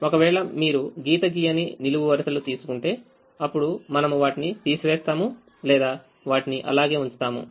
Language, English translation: Telugu, if you take this column where line is not passing through, then we either subtract or keep things as they are